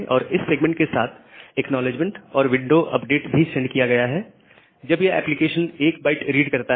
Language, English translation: Hindi, And for this segment, another ACK and window update is sent when the application reads that 1 byte